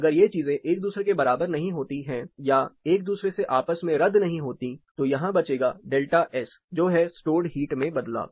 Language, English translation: Hindi, If these things are not equating or negating each other there will be some reminder which is delta S that is change in the stored heat